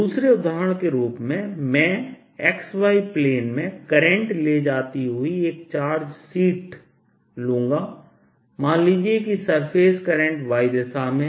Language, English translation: Hindi, as a second example, i will take a heat of charge in the x y plain carrying a current, let's say in the y direction, surface current